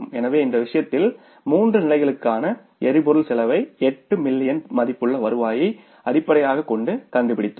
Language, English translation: Tamil, So, in this case we have found out the fuel cost for the three levels taking the 8 million worth of the revenue as the base